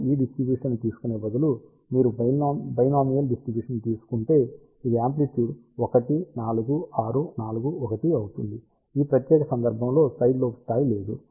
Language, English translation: Telugu, Now, if instead of taking this distribution, if you take binomial distribution, which will be amplitude 1 4 6 4 1, in this particular case there is no side lobe level